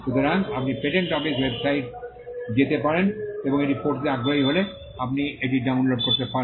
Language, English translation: Bengali, So, you can go to the patent office website and you could download it if you are interested in reading it